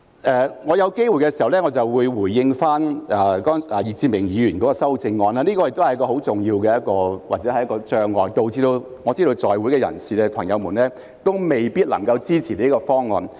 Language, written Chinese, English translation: Cantonese, 稍後如有機會，我會回應易志明議員的修正案，這亦是一個很重要的障礙，令在席議員未必能夠支持這個方案。, I will respond to Mr Frankie YICKs amendment later if I have a chance to do so . This is also a major obstacle which may deter Members in this Chamber from supporting this proposal